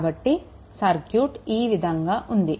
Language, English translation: Telugu, So, this circuit is circuit is like this ah